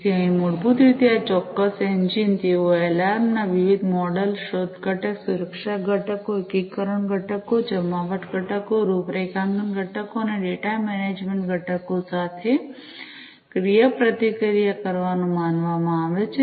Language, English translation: Gujarati, So, here basically this particular engine, they have considered to be interacting with alarms different models, discovery component, security components, integration components, deployment components, configuration components, and data management components